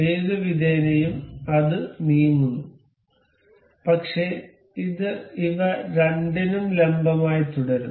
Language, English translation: Malayalam, Anyway anywhere it moves, but it remains perpendicular to these two